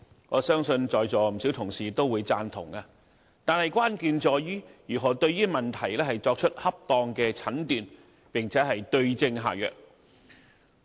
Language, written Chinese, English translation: Cantonese, 我相信在座不少同事都會贊同，但關鍵在於如何對問題作出恰當的診斷並對症下藥。, I believe that many Honourable colleagues present will support that but the crux of the matter is how to appropriately diagnose the problem and prescribe the right remedy for it